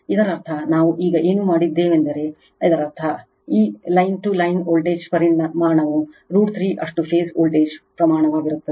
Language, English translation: Kannada, That means, so whatever we did just now so that means, that line to line voltage magnitude will be root 3 time phase voltage magnitude